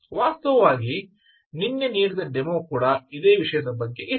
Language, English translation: Kannada, in fact the yesterdays demo was also like that